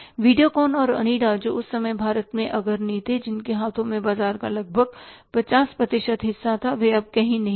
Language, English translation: Hindi, VideoCon and Onida who were the leaders in the market at that time having almost 50% half of the market in their hands they are nowhere in existence